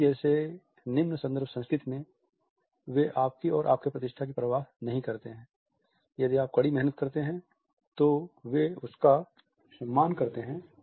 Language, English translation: Hindi, In a low context culture like Germany they do not care about you and your status, if you work hard and efficiently they respect